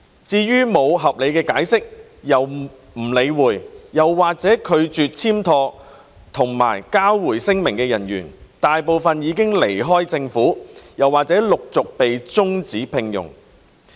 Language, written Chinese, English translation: Cantonese, 至於沒有合理解釋又不理會或拒絕簽妥和交回聲明的人員，大部分已離開政府或陸續被終止聘用。, For those who neglected or refused to duly sign and return the declaration without reasonable explanation most had left the Government or would be terminated shortly